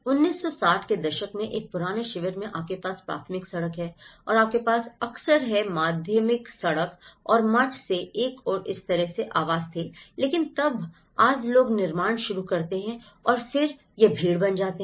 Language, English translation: Hindi, In an old camp transformations in 1960s, you have the primary road and you have the secondary road and from the monastery and this is how the dwellings were but then today people start building up and then it becomes crowded